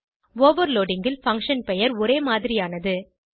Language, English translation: Tamil, In overloading the function name is same